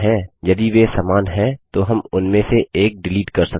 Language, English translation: Hindi, If they are same then we may delete one of them